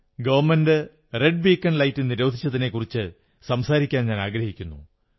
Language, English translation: Malayalam, I wish to say something on the government's ban on red beacons